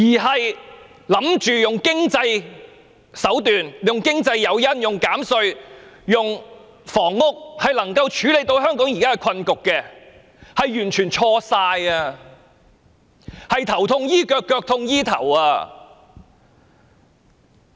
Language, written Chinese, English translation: Cantonese, 政府以為透過經濟手段、經濟誘因、減稅、興建房屋便能夠處理香港現在的困局，是完全錯誤的，這便是"頭痛醫腳，腳痛醫頭"。, The Government is utterly mistaken to believe that it can deal with the present predicament of Hong Kong by financial means or through financial incentives tax reduction or housing construction . This is precisely treating the foot when there is a headache and treat the head when there is foot pain